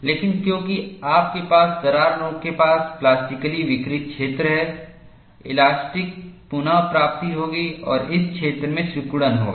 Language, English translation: Hindi, But because you have plastically deformed zone near the crack tip, the elastic recovery will go and compress this zone